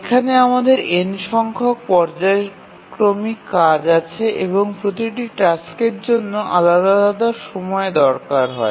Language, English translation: Bengali, So, here if we have n periodic tasks and each task requires running at different period